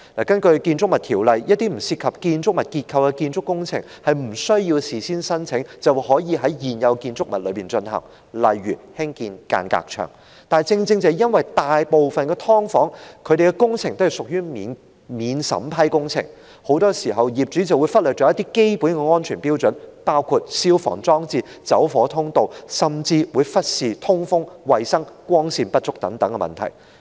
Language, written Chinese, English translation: Cantonese, 根據《建築物條例》，一些不涉及建築物結構的建築工程無須事先申請，便可以在現有建築物內進行，例如興建間隔牆；但正正由於大部分"劏房"的工程均屬免審批工程，業主很多時候便會忽略基本的安全標準，包括消防裝置、走火通道，甚至忽視通風、衞生、光線不足等問題。, Under the Buildings Ordinance some construction works that do not involve the structure of a building such as the erection of a partition wall can be carried out in existing buildings without having to seek prior approvals . But given that most of the works relating to subdivided units are exempted works the owners have often neglected the basic safety standards including those for the fire service installations and fire exits and even problems relating to ventilation hygiene and inadequate lighting